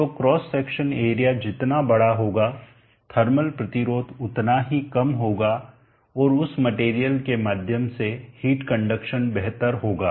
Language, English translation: Hindi, So great of the cross sectional area smaller will be the thermal resistance and better will be the heat conduction through that material